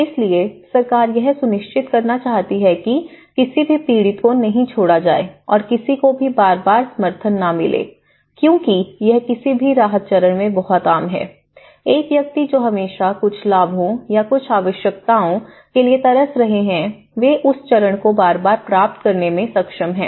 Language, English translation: Hindi, So, the government want to make sure that no victim is left out and no one gets repeated supports because it is very common in any relief stage but one person because they are always craving for certain benefits or some needs which they are able to get in that phase